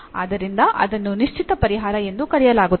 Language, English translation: Kannada, So, this is called the explicit solution